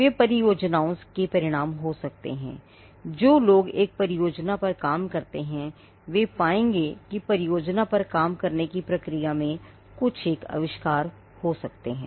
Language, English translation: Hindi, They may result from projects; people who do a project may find that something in the process of doing the project, they would come across an invention